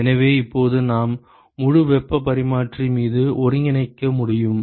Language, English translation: Tamil, So, now, we can integrate over the whole heat exchanger